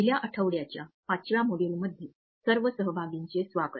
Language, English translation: Marathi, Welcome dear participants to the 5th module of the first week